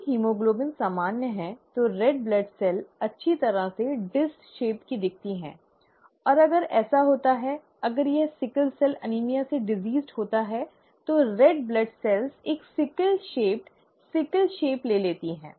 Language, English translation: Hindi, The, if the haemoglobin is normal, the red blood cell would look nicely disc shaped, and if it happens to have, if it happens to be diseased with sickle cell anaemia, then the red blood cell takes on a sickle shaped, sickle shape